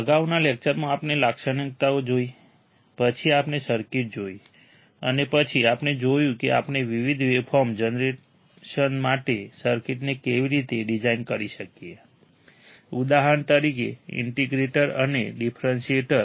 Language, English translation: Gujarati, In the previous lecture, we have seen the characteristics, then we have seen the circuits, and then we have seen, how we can design those circuits for different generation of waveforms, for example, integrator and differentiator